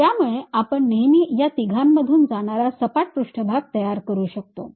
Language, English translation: Marathi, So, we can always construct a plane surface which is passing through these three points